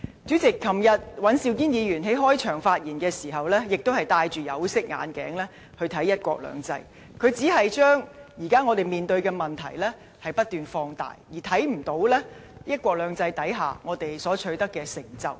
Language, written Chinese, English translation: Cantonese, 主席，昨天尹兆堅議員在開場發言時，亦都是戴着有色眼鏡來看"一國兩制"，他只是將我們現時面對的問題不斷放大，而看不到"一國兩制"下，我們所取得的成就。, President in his opening speech yesterday Mr Andrew WAN looked at one country two systems through tinted glasses . He kept exaggerating the problems we are now facing but failed to see the achievements made under one country two systems